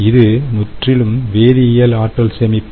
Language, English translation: Tamil, all right, this is chemical energy storage